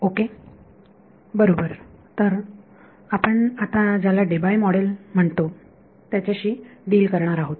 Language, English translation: Marathi, Right so, we will deal with what is called the Debye Model